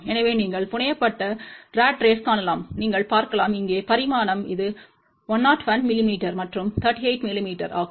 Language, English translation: Tamil, So, you can see the fabricated ratrace, you can see the dimension here it is just about 101 mm by 38 mm